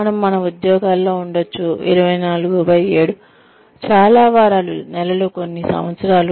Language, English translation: Telugu, We may be at our jobs, say 24/7, for several weeks, months, maybe a couple of years